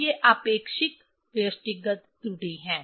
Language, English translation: Hindi, So, these are the relative individual error